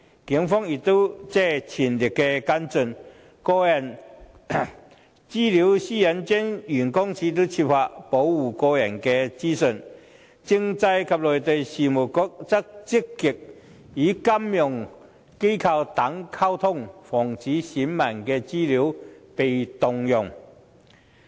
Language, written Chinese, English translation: Cantonese, 警方已全力跟進；香港個人資料私隱專員公署設法保護個人資料；而政制及內地事務局則積極與金融機構等溝通，防止選民的資料被盜用。, The Police are striving on its investigation; OPCPD is working hard on protecting the personal data; and the Constitutional and Mainland Affairs Bureau is actively communicating with financial organizations and so on with a view to preventing any misappropriation of electors personal data